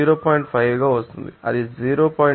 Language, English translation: Telugu, 5 that will go to 0